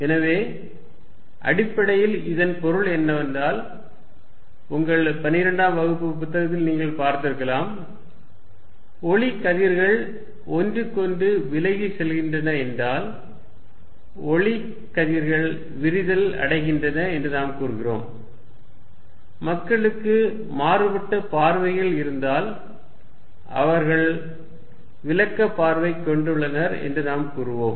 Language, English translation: Tamil, So, what basically it means is particularly, because you may have seen it in your 12th grade book, if light rays are going away from each other, we say light rays are diverging, if people have differing views we will say they have divergent views